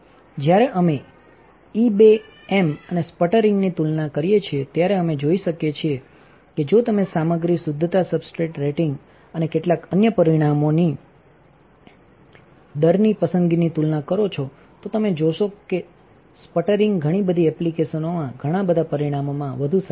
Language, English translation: Gujarati, While we compare the E beam and sputtering then we can see that if you compare the rate choice of material purity substrate rating and several other parameters, then you will find that the sputtering is way better in a lot of applications, lot of parameters compared to evaporation